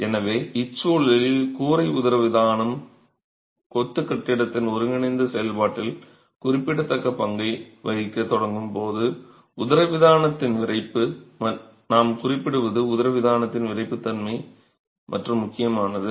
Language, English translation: Tamil, So, in this scenario when the roof diaphragm starts playing a significant role in the integral action of the masonry building, the stiffness of the diaphragm, what we are referring to is the in plain stiffness of the diaphragm matters and matters significantly